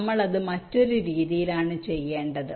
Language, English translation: Malayalam, we have to do it in a different way, right